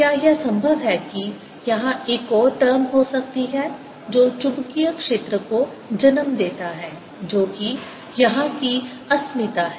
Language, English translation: Hindi, is it possible that there could be another term here which gives rise to magnetic field